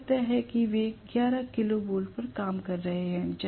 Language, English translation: Hindi, Let me assume that they are working on 11 kilo volt